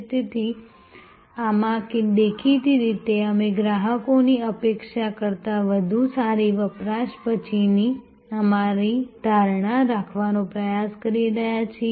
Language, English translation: Gujarati, So, in this obviously we are trying to have our post consumption perception much better than customer expectation